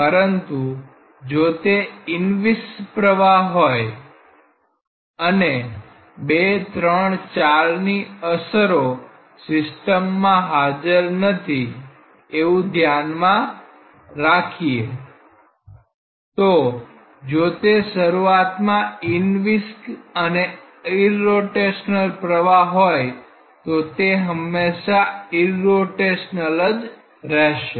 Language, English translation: Gujarati, But if it is inviscid and then if we consider that the f x 2 3 and 4 are not there in a system; then if it is inviscid and irrotational origin and it will remain irrotational forever